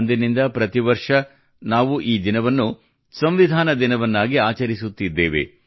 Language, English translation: Kannada, And since then, every year, we have been celebrating this day as Constitution Day